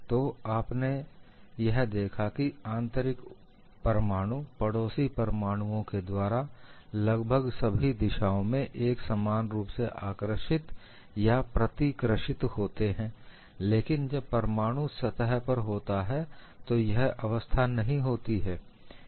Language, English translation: Hindi, So, what you find is, the interior atom is attracted or repulsed by the neighboring atoms more or less uniformly in all the directions, but that is not the case when I have the atom on the surface